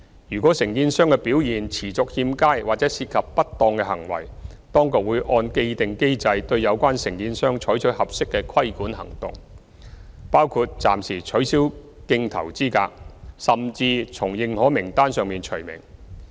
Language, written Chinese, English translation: Cantonese, 如果承建商表現持續欠佳或涉及不當行為，當局會按既定機制對有關承建商採取合適的規管行動，包括暫時取消競投資格，甚至從認可名冊上除名。, Should a contractor constantly exhibits unsatisfactory performance or has committed misconduct regulating actions with be taken against the contractor in accordance with established procedures . Such actions include temporary suspension from tendering and even removal from the relevant lists of approved contractors